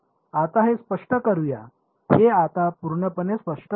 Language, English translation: Marathi, Let us clear let us make it fully clear now yes